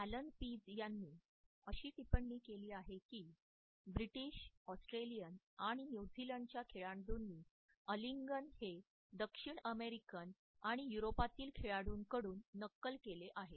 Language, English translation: Marathi, Allen Pease has commented that intimate embracing by British Australian and New Zealand sports person has been copied from the sports persons of South American and continental countries